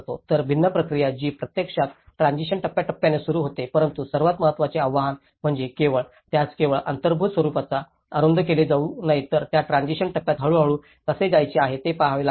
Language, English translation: Marathi, So, different process which starts actually following the transition stage but the most important challenge is not only about it should not be narrowed them only at the built form but one has to look at how this transition stage has to gradually go into the permanent stage